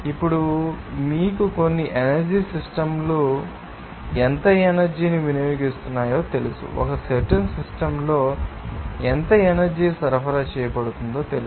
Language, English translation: Telugu, Now, we have to know you know certain energy systems, how much energy is being consumed, how much energy is supplied there in a particular system